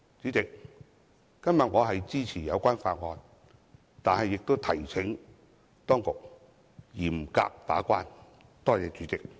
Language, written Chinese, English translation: Cantonese, 主席，我今天是支持有關法案，但亦提請當局嚴格把關。, President today I will support the relevant motion . But I would also like to ask the Administration to strictly discharge its gate - keeping duties